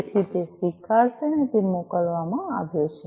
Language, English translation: Gujarati, So, it will acknowledge that it has been sent